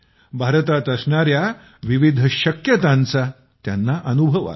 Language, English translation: Marathi, They also realized that there are so many possibilities in India